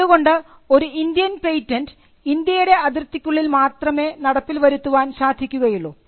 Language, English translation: Malayalam, So, an Indian patent can only be enforced within the boundaries of India